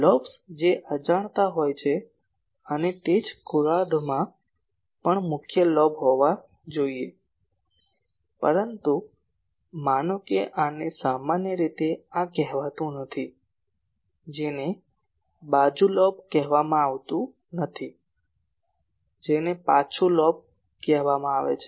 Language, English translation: Gujarati, The lobes which are unintentional and also in the same hemisphere as the main lobe , so, these one, but suppose this one is generally not called this one is not called side lobe this is called back lobe